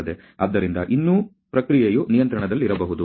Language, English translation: Kannada, So, that still the process can be within controls